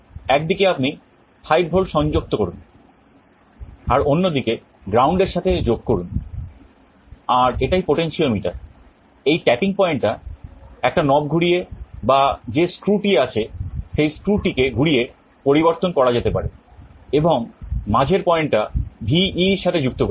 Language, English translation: Bengali, On one side you can connect 5V, on the other side you connect ground, and this is a potentiometer, this tapping point can be changed either by rotating a knob or there is screw by rotating a screw, and the middle point you connect to VEE